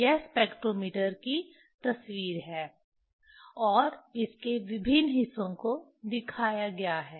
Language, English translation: Hindi, This is the picture of the spectrometer and its different parts are shown